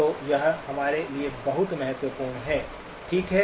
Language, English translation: Hindi, So that is very important for us, okay